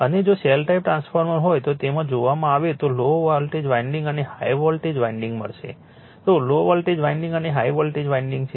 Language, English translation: Gujarati, And if the shell type transformer is there if you look into that you will find low voltage winding and high voltage winding, then low voltage winding and high voltage winding, right,